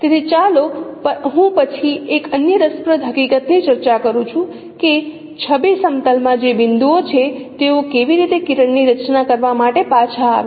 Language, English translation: Gujarati, So let me then discuss another interesting fact that how the the points which are there in the image plane, how they are back projected to form a day